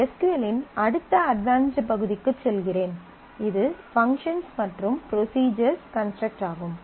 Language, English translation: Tamil, Let me move onto the next advanced part of SQL which is function and procedural construct